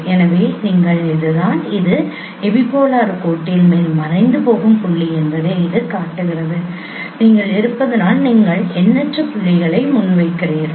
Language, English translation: Tamil, So, so you this is this shows you that that is the vanishing point over the epipolar line as you are your projecting the points at infinities